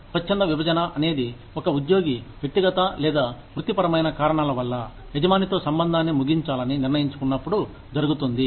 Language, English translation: Telugu, Voluntary separation occurs, when an employee decides, for personal or professional reasons, to end the relationship, with the employer